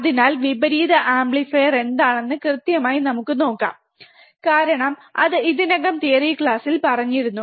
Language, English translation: Malayalam, So, let us quickly see what exactly the inverting amplifier is, since it was already covered in the theory class